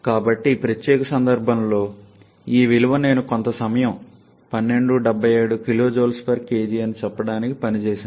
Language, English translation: Telugu, So, this value in this particular case I have worked out to say some time 1277 kilo joule per kg